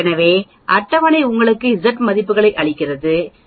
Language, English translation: Tamil, So the table gives you Z values Z is equal to 0